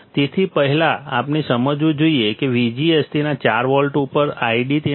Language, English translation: Gujarati, So, first we should understand that V G S on its 4 volts, I D on its 3